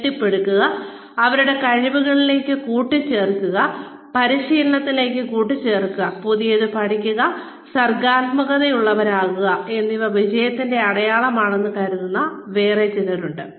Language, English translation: Malayalam, There are yet others, who think, that building, adding to their skills, adding to their training, learning something new, being creative, is a sign of success